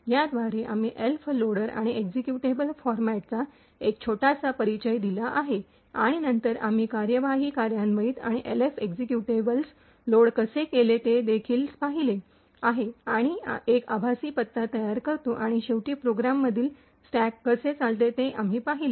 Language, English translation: Marathi, With this, we have given a small introduction to Elf loader and executable formats and then we have also seen how processes execute and load these executables Elf executables and create a virtual address and finally we have seen how the stack in the program operates